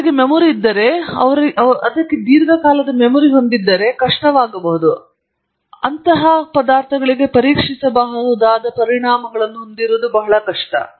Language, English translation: Kannada, If they have a memory then it’s very difficult especially if they have a long memory, it’s very difficult to have testable consequences for such substances